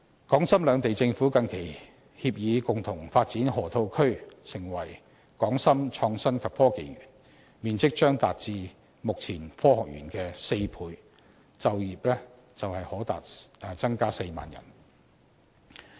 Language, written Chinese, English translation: Cantonese, 港深兩地政府近期協議共同發展河套區成為港深創新及科技園，面積將達至目前科學園的4倍，就業機會可達至4萬人。, Recently the governments of Hong Kong and Shenzhen has agreed to jointly develop the Lok Ma Chau Loop into an innovation and technology park . The size of it will be four times that of Hong Kongs Science Park and it will provide job opportunities for 40 000 people